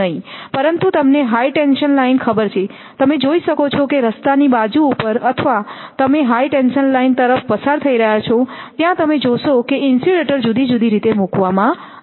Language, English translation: Gujarati, But, if you look at that you know high tension line when you can see I mean on the road side or in the you know it is passing to the higher tension line if you see the different way of insulators are placed